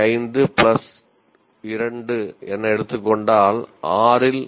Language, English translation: Tamil, 5 plus 2, there is 3